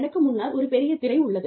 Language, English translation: Tamil, There is a big screen, in front of me